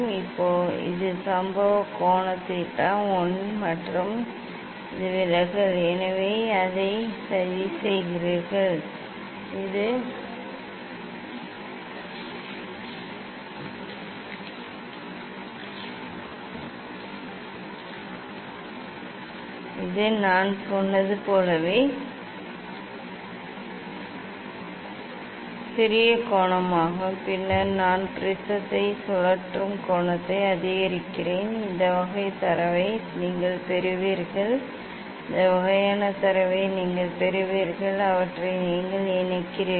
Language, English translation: Tamil, this is the incident angle theta I and this is the deviation So; you plot it for; it is the smaller angle as I told then I increase the angle rotating the prism you will get this type of data this type of data you will get and you connect them